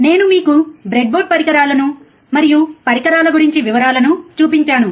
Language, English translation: Telugu, And I have shown you the breadboard devices and the details about the equipment, right